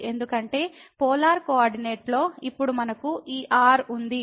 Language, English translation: Telugu, Because in the polar coordinate, now we have this and this is theta and this is